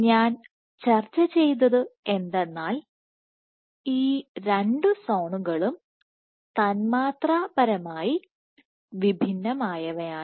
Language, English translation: Malayalam, So, what I also discussed was these two zones are molecularly distinct